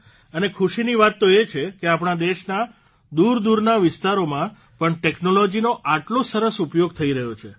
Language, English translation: Gujarati, And it is a matter of joy that such a good use of technology is being made even in the farflung areas of our country